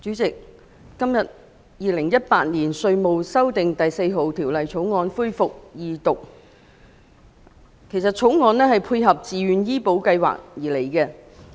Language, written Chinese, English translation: Cantonese, 代理主席，《2018年稅務條例草案》今天恢復二讀辯論，《條例草案》旨在配合自願醫保計劃。, Deputy President the Second Reading debate on the Inland Revenue Amendment No . 4 Bill 2018 the Bill resumed today